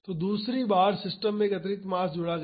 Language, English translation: Hindi, So, in the second time an additional mass was added to the system